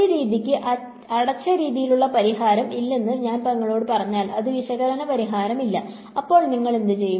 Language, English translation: Malayalam, If you are if I tell you that a method does not have a closed form solution, there is no analytical solution for it, then what will you do